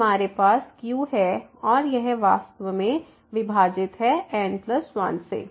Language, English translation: Hindi, So, we have a here and this is in fact, divided by plus 1